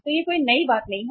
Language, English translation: Hindi, So it is not a new thing